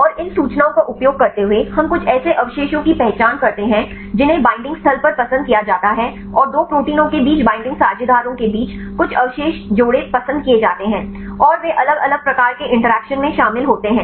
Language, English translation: Hindi, And using these information we identify some residues which are preferred to be at the binding site and the binding partners right between two proteins there are some residue pairs are preferred, and they are involved in different types of interactions right